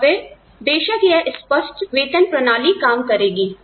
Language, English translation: Hindi, And then, of course, this open pay system, can work